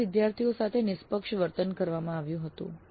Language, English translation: Gujarati, All the students were treated impartially